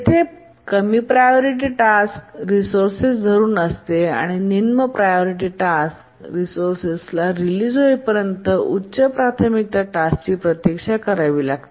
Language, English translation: Marathi, Here when a lower priority task is holding a resource, a higher priority task has to wait until the lower priority task releases the resource